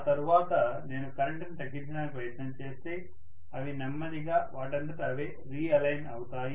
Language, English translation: Telugu, After that when I am trying to reduce the current, they are going to slowly realign themselves